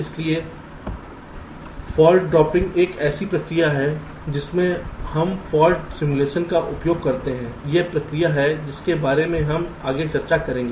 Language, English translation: Hindi, so fault dropping is a process where we use fault simulation is a process we shall be discussing next